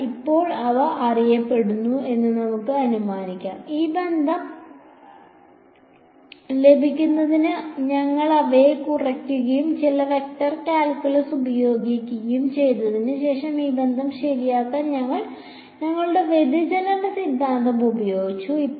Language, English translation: Malayalam, But for now let us assume that they are known, we subtracted them and applied some vector calculus to get this relation after which we applied our divergence theorem to get this relation right